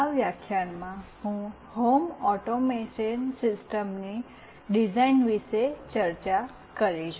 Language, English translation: Gujarati, In this lecture, I will be discussing about the design of a Home Automation System